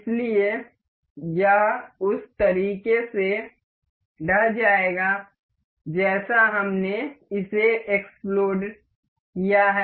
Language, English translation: Hindi, So, it will collapse in the way as we have exploded it